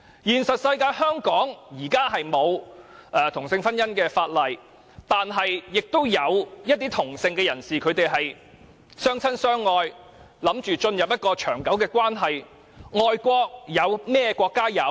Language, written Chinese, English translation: Cantonese, 現實中，香港現時沒有同性婚姻的法例，但亦有一些同性的人士相親相愛，準備進入長久的關係。, In reality there is currently no legislation on same - sex marriage in Hong Kong but some people of the same sex are in love with each other and are prepared to enter into a long - term relationship